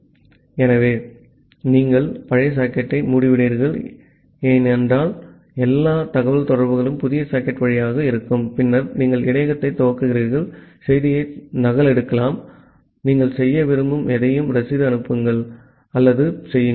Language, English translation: Tamil, So, you close the old socket since all communication will be through the new socket and then you initialize the buffer, copy the message to it, send or do the receipt whatever you want to do